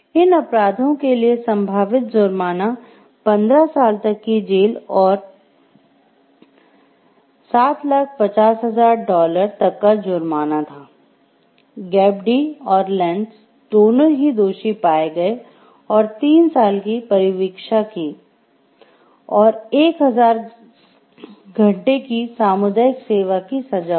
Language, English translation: Hindi, The potential penalty for these crimes were up to 15 years in prison, and a fine of up to dollar 7,50,000 Gepp Dee and Lentz were each found guilty and sentenced to 3 years’ probation and 1000 hours of community service